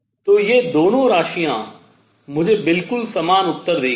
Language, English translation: Hindi, So, both both these quantities will give me exactly the same answer